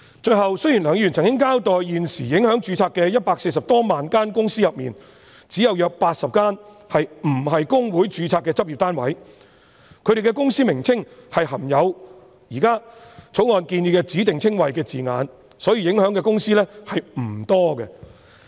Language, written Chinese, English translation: Cantonese, 最後，雖然梁議員曾經交代在現時140多萬間公司裏，只有約80間不是公會註冊的執業單位，他們的公司名稱含有現時《條例草案》建議的指定稱謂的字眼，所以受影響的公司並不多。, Finally Mr LEUNG explained that at present of the 1.4 million companies only about 80 were practising units not registered with HKICPA and their names consisted of specified descriptions proposed in the Bill thus not many companies would be affected